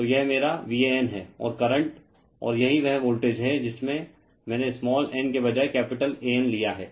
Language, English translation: Hindi, So, this is my V a n right; and current and this is the voltage in here I have taken capital A N instead of small a n